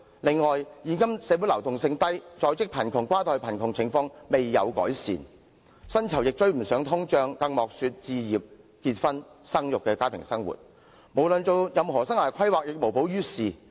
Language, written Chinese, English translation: Cantonese, 此外，現今社會流動性低，在職貧窮、跨代貧窮的情況也未見得到改善，薪酬追不上通脹，更莫說實行置業、結婚、生育等家庭計劃，根本所有生涯規劃也無補於事。, Furthermore social mobility nowadays is low and such problems as in - work poverty and inter - generational poverty remain unresolved . In addition wages cannot catch up with inflation not to mention making family planning for home purchases marriage and reproduction . All the career and life planning is simply useless